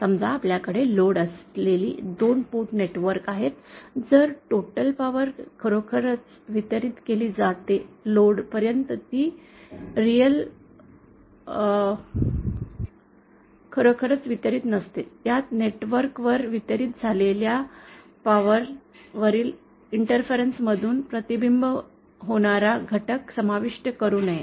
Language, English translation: Marathi, It is like suppose we have 2 port network with a lot connected, then the total power that is actually delivered to the load by actually delivered means actually notÉ It should not include that component which is reflected from the interface over the power delivered to the network i